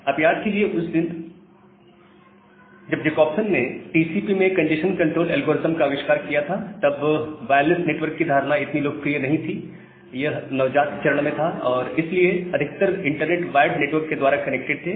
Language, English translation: Hindi, Now, here there is a glitch, remember that during that time, when Jacobson invented this congestion control algorithm in TCP, the notion of wireless network was not that much popular or it was just in a very nascent stage, so most of the internet was connected by the wired network